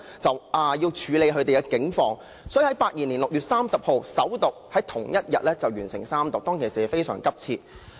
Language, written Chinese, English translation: Cantonese, 該條例草案於1982年6月30日首讀，並於同一天完成三讀，當時的情況相當急切。, The Bill was read the First time on 30 June 1982 and its Third Reading was completed on the same day . The situation at that time was quite urgent